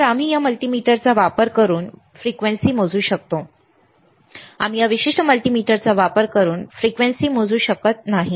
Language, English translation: Marathi, So, we can measure the frequency using this multimeter, we cannot measure the frequency using this particular multimeter